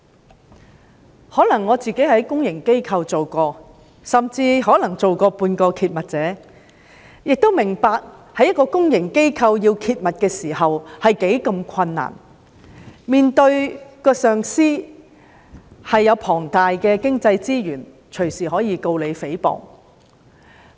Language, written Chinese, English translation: Cantonese, 或許由於我曾在公營機構工作，甚至曾經作為半個揭密者，我明白到在公營機構工作時，如果想揭密實在非常困難，揭密者需要面對擁有龐大經濟資源的上司，隨時可以控告他誹謗。, Perhaps it is because I have worked in a public organization and was some sort of a whistle - blower I understand that it is very difficult for people working in a public organization to blow the whistle . A whistle - blower has to face his boss with abundant financial resources who might sue him for libel at any time